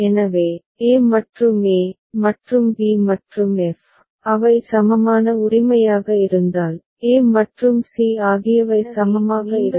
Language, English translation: Tamil, So, a and e, and b and f, if they are equivalent right, a and c will be equivalent